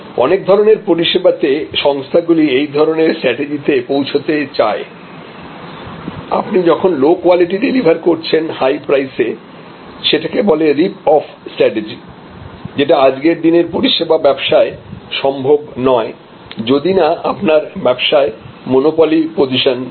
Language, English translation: Bengali, In many types of services this is the position that organizations try to achieve; obviously, if your delivering low quality at high price; that is a rip off strategy practically not possible in services business today, unless you have some kind of monopolistic position